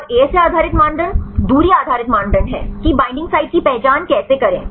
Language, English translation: Hindi, And ASA based criteria distance based criteria how to identify the binding sites